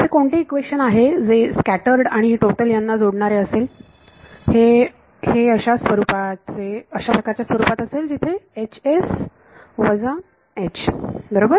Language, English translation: Marathi, So, what is the equation that links scattered and total it is going to be of this form H s minus H is equal to